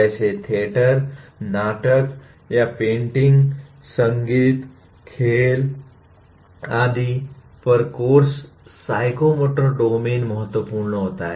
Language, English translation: Hindi, Like courses on theater, drama or paintings, music, sports and so on, psychomotor domain becomes important